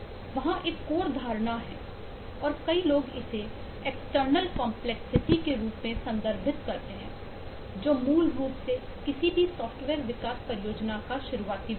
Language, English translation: Hindi, there is a, there is a notion, and, eh, many people refer to it as external complexity, which is basically the starting point of any software development project